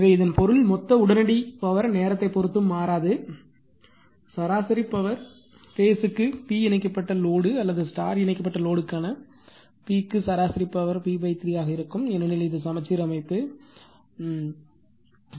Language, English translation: Tamil, So, that means, since the total instantaneous power is independent of time I told you, the average power per phase P p for either delta connected load or the star connected load will be p by 3, because it is the balanced system, it is a balanced system